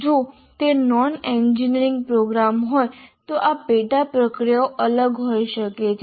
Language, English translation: Gujarati, If it is non engineering program, the sub processes may differ